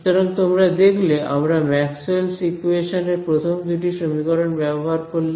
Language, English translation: Bengali, So, you notice that we use the first two equations of Maxwell right